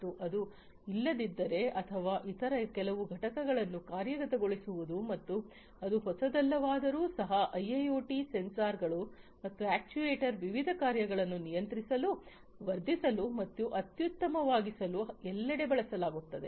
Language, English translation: Kannada, And if it is not or even if it is to actuate certain other components and that has been there it is not new, then in IIoT sensors and actuators have been also used everywhere to control, enhance, and optimize various functions